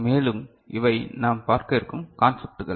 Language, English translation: Tamil, And these are the concepts that we’ll cover